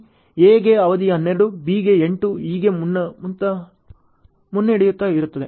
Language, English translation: Kannada, Duration for A is 12 for B is 8 ok